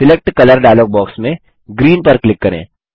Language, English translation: Hindi, In the Select Color dialogue box, click green.Click OK